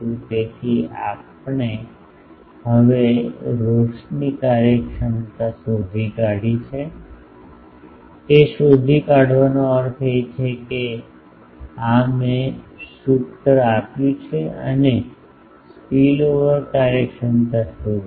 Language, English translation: Gujarati, So, we have now found out the illumination efficiency, found out means this is I have given this formula and the spillover efficiency we have derived